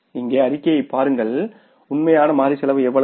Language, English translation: Tamil, You total it up the total variable cost is how much